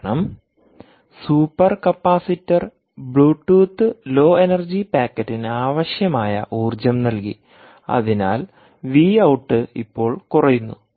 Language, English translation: Malayalam, and because the super capacitor provided sufficient power for the bluetooth low energy packet to be transmitted, the output v out now falls down